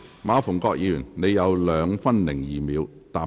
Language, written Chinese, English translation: Cantonese, 馬逢國議員，你還有2分02秒答辯。, Mr MA Fung - kwok you still have 2 minutes 2 seconds to reply